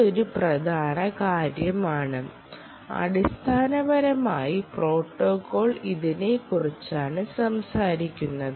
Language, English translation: Malayalam, ok, so this is an important thing and that s what basically the protocol is actually ah talking about